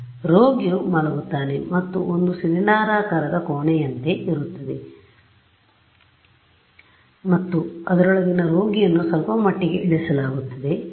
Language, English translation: Kannada, So, the patient lies down and there is a like a cylindrical chamber and into which the patient is slightly lowered